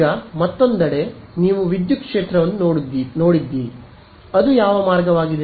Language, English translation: Kannada, Now, on the other hand you look at the electric field what way is it